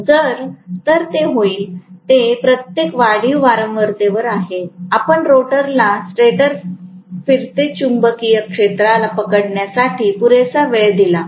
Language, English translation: Marathi, So, what will happen is at every incremental frequency, you give sufficient time for the rotor to catch up with the stator revolving magnetic field